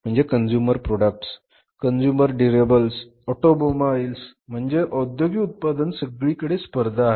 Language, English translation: Marathi, So, consumer products, consumer durables, automobiles mean the industrial products everywhere there is a competition